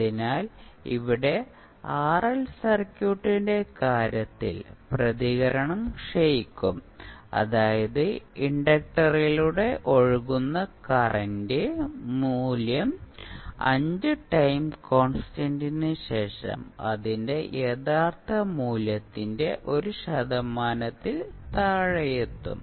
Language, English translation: Malayalam, So, here in case of RL circuit the response will decay that means the value of current that is flowing through the inductor, will reach to less than 1 percent of its original value, after 5 time constants